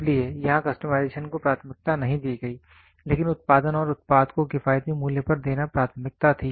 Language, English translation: Hindi, So, here customization was not given a priority, but production and giving the product at an economical price was the priority